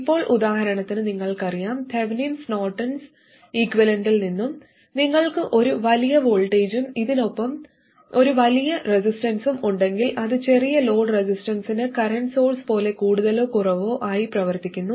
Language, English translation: Malayalam, So, for instance that you also know from Thevenin and Norton equivalents, if you have a large voltage and a large resistance in series with it, then it behaves more or less like a current source for small values of load resistance